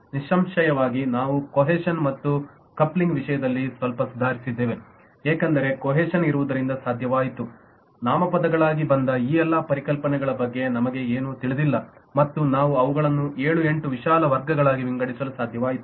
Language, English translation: Kannada, obviously we have improved somewhat in terms of cohesion and coupling, because cohesion, because we have been able to, we knew nothing almost about all these concepts that came up as nouns and now we have been able to group them into some seven, eight broad classes